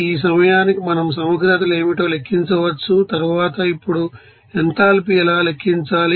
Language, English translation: Telugu, So, by this you know point we can then calculate what should be the integrals and then what will be the enthalpy